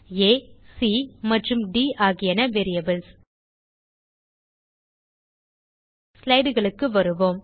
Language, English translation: Tamil, a, c and d are variables Now come back to our slides